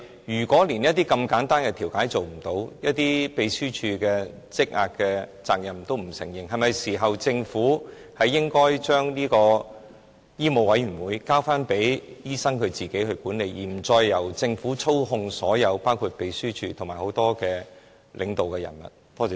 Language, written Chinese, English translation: Cantonese, 如果連這麼簡單的調解也做不到，對秘書處工作積壓的問題亦不承認責任，那麼，政府是否是時候將醫委會交回醫生自行管理，不再由政府操控，包括秘書處及多名領導人員？, If the Government cannot even do such a simple mediation and refuses to admit responsibility for the backlog of the Secretariat is it time for it to hand back MCHK to doctors for them to manage on their own so that MCHK including its Secretariat and a number of the leading personnel will be free of government manipulation?